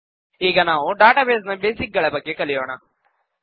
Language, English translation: Kannada, Let us now learn about some basics of databases